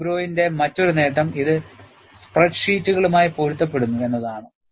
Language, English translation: Malayalam, Another advantage of AFGROW is, it is compatible with spreadsheets